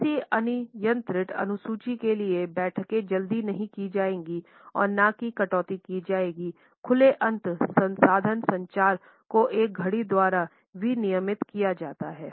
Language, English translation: Hindi, Meetings will not be rushed or cut short for the sake of an arbitrary schedule, time is an open ended resource communication is not regulated by a clock